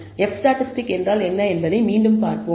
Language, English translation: Tamil, So, let us go back and revisit what the F statistic is